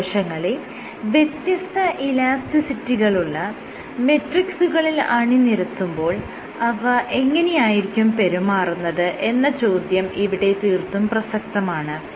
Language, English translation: Malayalam, What about stem cells how would these stem cells behave, when placed on matrices of different elasticities